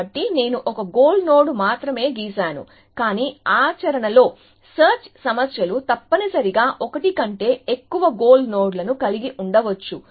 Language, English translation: Telugu, So, I have drawn only one goal node, but in practice, search problems may have more than one goal node essentially